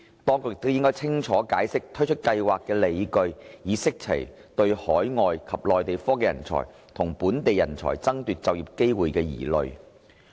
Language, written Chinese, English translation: Cantonese, 當局亦應清楚解釋推出計劃的理據，以釋除對海外及內地科技人才與本地人才爭奪就業機會的疑慮。, The authorities should also explain clearly the rationale for the introduction of TechTAS so as to address the concerns about the competition for employment opportunities between overseasMainland technology talents and local talents